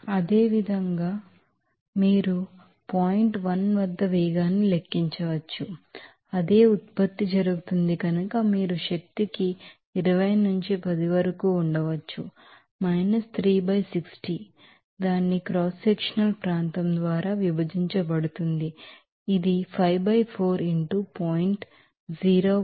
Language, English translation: Telugu, Similarly, you can calculate the velocity at point 1 similarly, for the same product is going so, you can have 20 into 10 to the power 3 by 60 divided by its cross sectional area, it is 5 by 4 into 0